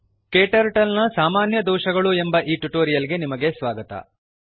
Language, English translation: Kannada, Welcome to this tutorial on Common Errors in KTurtle